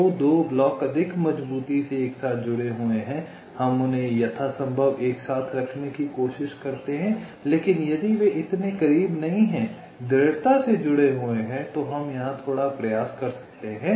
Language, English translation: Hindi, the two blocks which are more strongly connected together, we try to put them as close together as possible, but if they are not so close strongly connected, they maybe put a little for the effort, no problem